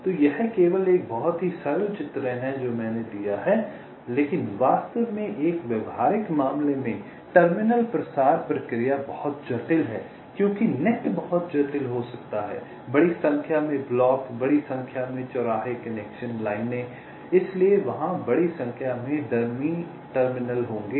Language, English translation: Hindi, but actually in a practical case the terminal propagation process is very complex because the net can be pretty complicated: large number of blocks, large number of inter connection lines, so there will be large number of dummy terminals